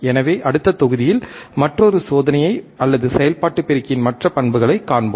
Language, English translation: Tamil, So, in the next module, we will see another experiment, or another characteristics of an operational amplifier